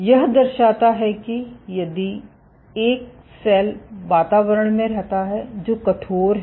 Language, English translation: Hindi, So, this shows you that if a cell resides in an environment which is stiff